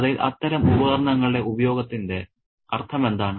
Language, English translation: Malayalam, What is the point of the usage of such devices in the story